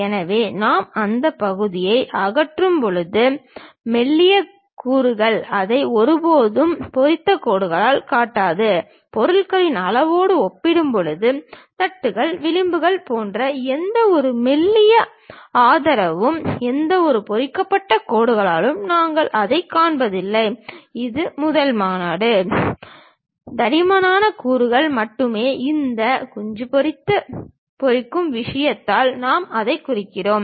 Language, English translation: Tamil, So, when we are removing that part, the thin elements we never show it by hatched lines; compared to the object size, any thin supports like plates, flanges and so on things, we do not show it by any hatched lines, this is a first convention Only thick elements we represent it by this hatch thing